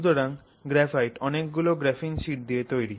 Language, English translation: Bengali, Graphite is full of graphene sheets